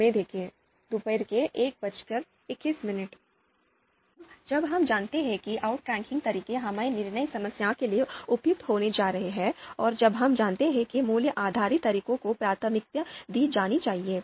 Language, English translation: Hindi, Now when do we know that outranking methods are going to be suitable for our decision problem, when do we know that value based methods are going to be you know should be preferred